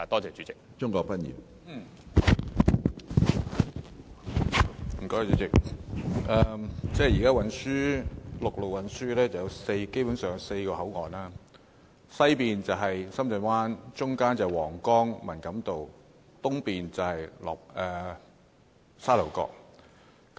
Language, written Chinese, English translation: Cantonese, 主席，現時陸路運輸基本上有4個口岸，即西面是深圳灣，中間是皇崗和文錦渡，東面是沙頭角。, President at present there are basically four land BCPs namely Shenzhen Bay BCP in the west Huanggang and Man Kam To in the middle and Sha Tau Kok in the east